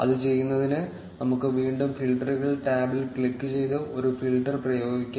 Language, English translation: Malayalam, To do that, let us click on the filters tab again, and apply a filter